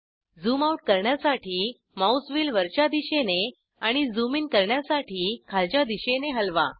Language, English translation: Marathi, Move the mouse wheel upwards to zoom out, and downwards to zoom in